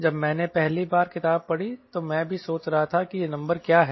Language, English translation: Hindi, when first time i read book, i was also [won/wondering] wondering: what is this number right